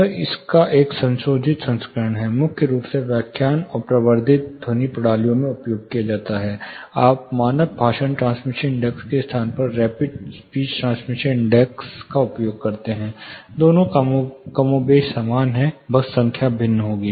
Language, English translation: Hindi, (Refer Slide Time: 13:27) It is a modified version of it primarily used in lecture and you know amplified sound systems, where they are used, you use, rapid speech transmission index in place of standard speech transmission index, both are more or less similar just the numbers would vary